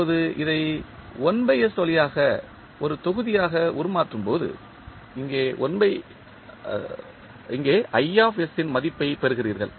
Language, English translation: Tamil, Now, when you transform this through 1 by S as a block you get the value of i s here